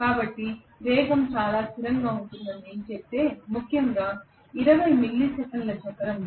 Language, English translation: Telugu, So if I say that the speed is fairly constant especially in a 20 milli second cycle